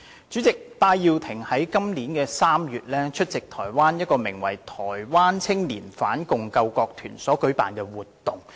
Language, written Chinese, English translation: Cantonese, 主席，戴耀廷於今年3月在台灣出席一個名為"台灣青年反共救國團"的團體所舉辦的活動。, President in March this year Benny TAI attended an event in Taiwan hosted by an organization called Taiwan Youth Anti - Communist National Salvation Corps